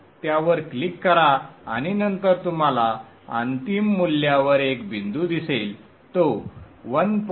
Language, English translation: Marathi, Click on that and then you will see the values is one point at that final value it is around 1